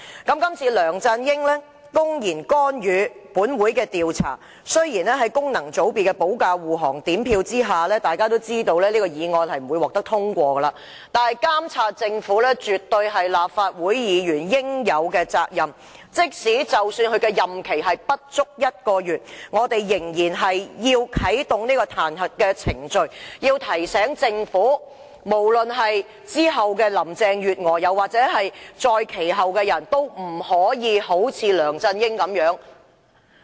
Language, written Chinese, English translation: Cantonese, 今次梁振英公然干預本會調查，雖然在功能界別的保駕護航及分組點票之下，這項議案不會獲得通過，但監察政府絕對是立法會議員應有的責任，即使其任期不足1個月，我們仍然要啟動彈劾程序，提醒政府，無論是之後的林鄭月娥，又或是再之後的人，都不可像梁振英那樣。, This time LEUNG Chun - ying blatantly interfered with the inquiry of this Council . Although with the shielding of Members of functional constituencies and under the separate voting system this motion will not be passed the Legislative Council is duty - bound to monitor the Government . Even though LEUNG will step down in less than a month we still have to initiate the impeachment procedure to remind the Government that neither Carrie LAM nor her successor can follow the example of LEUNG Chun - ying